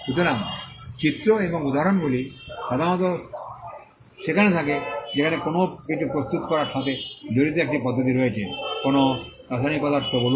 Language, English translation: Bengali, So, illustrations and examples are normally there where there is a method involved in preparing something, say a chemical substance